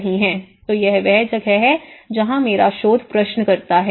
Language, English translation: Hindi, So, that’s where my research question talks about